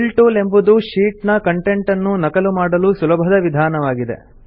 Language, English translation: Kannada, The Fill tool is a useful method for duplicating the contents in the sheet